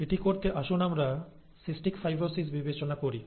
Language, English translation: Bengali, To do that, let us consider cystic fibrosis